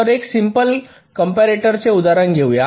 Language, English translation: Marathi, we shall be taking a example of a comparator